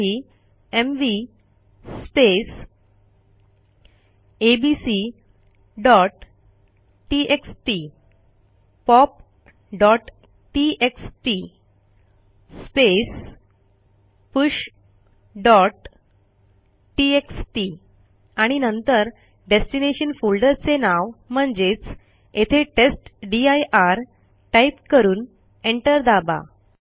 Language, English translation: Marathi, What we need to do is type mv abc.txt pop.txt push.txt and then the name of the destination folder which is testdir and press enter